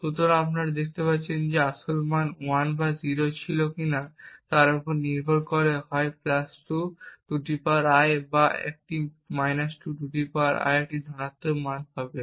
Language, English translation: Bengali, So, you see that depending on whether the original value was 1 or 0 would get either a positive value of (+2 ^ I) or a ( 2 ^ I)